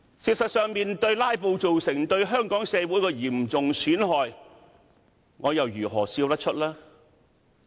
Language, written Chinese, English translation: Cantonese, 事實上，面對"拉布"為香港社會帶來的嚴重損害，我又如何笑得出來？, In fact when thinking of the serious harm caused to our society by filibustering how could I possibly smile?